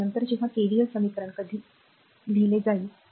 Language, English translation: Marathi, Later when see when we will go for KVL equation we will see that, right